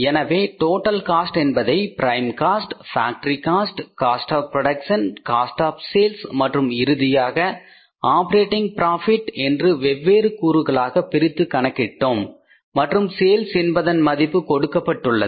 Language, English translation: Tamil, So it means we have calculated the total cost by dividing it into different components like your prime cost, factory cost of production, cost of sales and finally the operating profit and the sales value is given to us so it means we could find out that this is the 26,250 is the operating profit